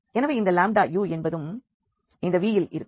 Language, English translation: Tamil, So, this if you multiply u to this 1